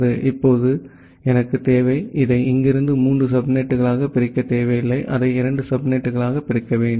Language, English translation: Tamil, So, now I need to, I do not need to divide it into three subnet from here, I need to divide it into two subnet